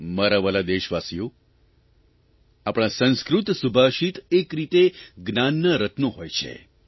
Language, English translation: Gujarati, My dear countrymen, our Sanskrit Subhashit, epigrammatic verses are, in a way, gems of wisdom